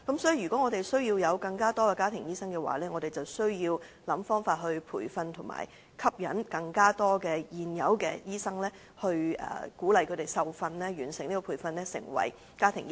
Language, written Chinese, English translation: Cantonese, 所以，如果香港需要有更多的家庭醫生，政府便要提供培訓並設法吸引更多醫生接受有關培訓，成為家庭醫生。, To increase the supply of family doctors the Government should provide training on family medicine and endeavour to attract doctors to enrol on the courses